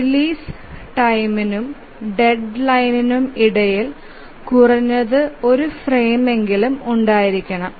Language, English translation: Malayalam, So, this is the release time and the deadline, there must exist at least one frame